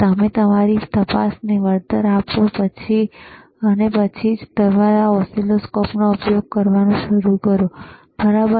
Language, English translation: Gujarati, After you compensate your probe, then and then only start using your oscilloscope, all right